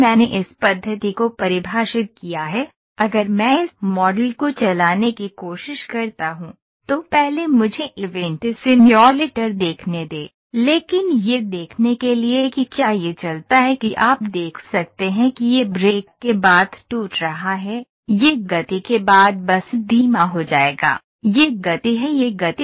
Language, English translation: Hindi, So, if I try to run this model first let me see the event simulator, it is n time nothing, but just to see whether how it runs, you can see this is brake after brake it will just slow down, after accelerate ,this is speed, the speed